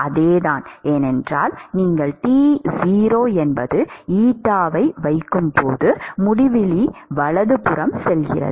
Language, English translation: Tamil, It is the same, because when you put T0 eta goes to infinity right